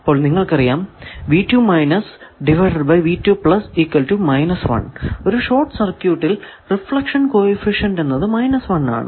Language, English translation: Malayalam, So, in an open circuit the reflection coefficient is plus 1